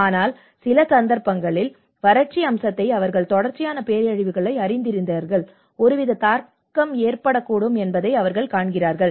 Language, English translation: Tamil, But in certain occasions like you know the drought aspect you know certain continuous disaster, they see that yes there is some kind of impacts may start